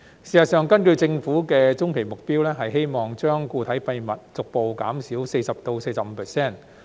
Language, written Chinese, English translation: Cantonese, 事實上，根據政府的中期目標，希望將固體廢物逐步減少 40% 至 45%。, In fact the Governments medium - term goal is to gradually reduce the solid waste disposal rate by 40 % to 45 %